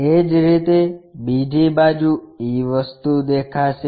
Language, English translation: Gujarati, Similarly, on the other side, e thing will be visible